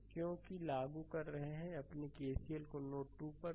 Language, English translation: Hindi, So, because we are applying your what you call ah hm KCL at node 2